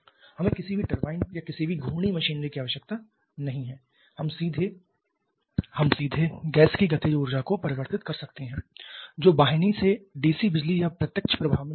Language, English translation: Hindi, We do not need any turbines or any rotational machinery we can directly convert the kinetic energy of the gas which is flowing through the duct to DC electricity or direct current